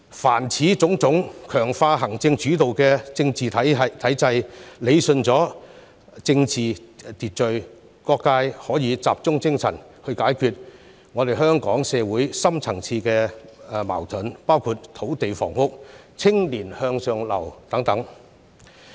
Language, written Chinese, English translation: Cantonese, 凡此種種，皆能強化行政主導的政治體制，理順政治秩序，讓各界可以集中解決香港社會的深層次矛盾，包括土地房屋、青年向上流等問題。, All of these measures can strengthen the executive - led political system and rationalize the political order so that people from various sectors can focus on solving the deep - seated conflicts in Hong Kong society including land and housing as well as upward mobility of young people